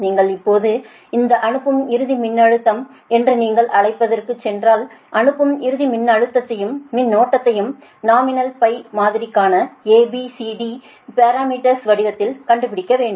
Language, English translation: Tamil, r right now, if you, if you now go for this, what you call this sending end voltage, now you have to find out sending end voltage and current for the nominal pi model and in the in the form of a, b, c, d parameters